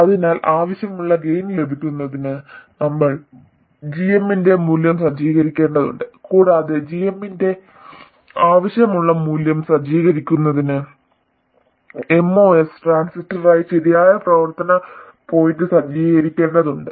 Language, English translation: Malayalam, So, to have a desired gain we have to set the value of GM and to set the desired value of GM, we have to set the correct operating point for the MOS transistor